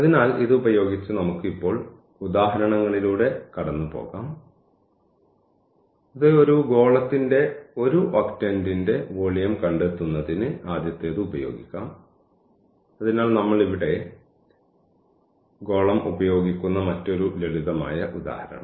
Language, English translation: Malayalam, So, with this now we can go through the examples which we will use now the first one to find the volume of one octant of a sphere of radius a; so, another very simple example where we are using the sphere here